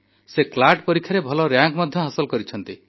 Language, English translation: Odia, She has also secured a good rank in the CLAT exam